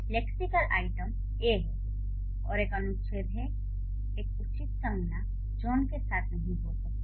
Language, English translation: Hindi, So, the lexical item, er, which is an article, cannot occur with a proper noun John